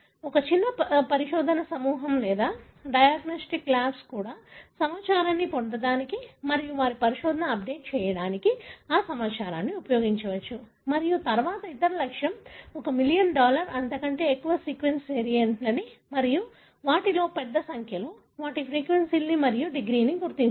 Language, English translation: Telugu, So, even a smaller research group or diagnostic labs can use that information to get information and update their research and so on and then the other objective is to determine one million or more sequence variants, large number of them, their frequencies and the degree of association